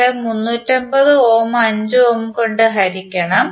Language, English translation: Malayalam, You have to simply divide 350 by 5 ohm